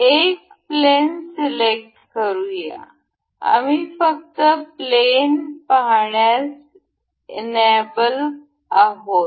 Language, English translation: Marathi, Let us just select a one plane it is, we will just enable to be see the plane